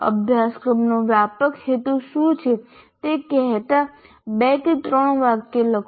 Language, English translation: Gujarati, One can write two or three sentences saying what are the broad aim of the course